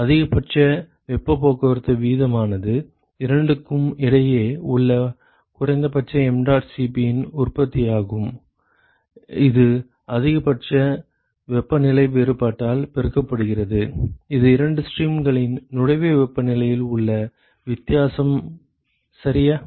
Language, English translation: Tamil, The maximum possible heat transport rate is essentially the product of the minimum mdot Cp between the two multiplied by the maximal temperature difference which is the difference in the inlet temperatures of the two streams ok